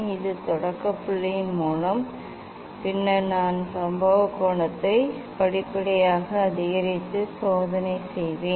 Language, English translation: Tamil, this by starting point and then I will increase the incident angle step by step and do the experiment